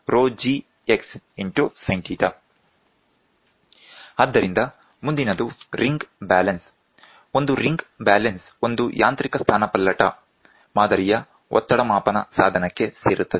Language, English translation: Kannada, So, the next one is ring balance, a ring balance belongs to a mechanical displacement type pressure measuring device